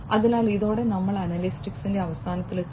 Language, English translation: Malayalam, So, with this we come to an end of analytics